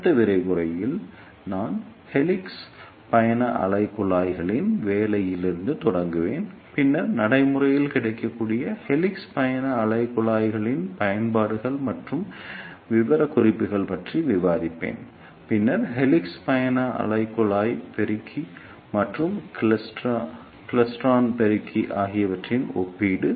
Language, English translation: Tamil, In the next lecture, I will start from working of helix travelling wave tubes, then I will discuss the applications and specifications of practically available helix travelling wave tubes, then the comparison of helix travelling wave tube amplifier and klystron amplifier